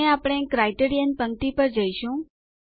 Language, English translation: Gujarati, and we will go to the Criterion row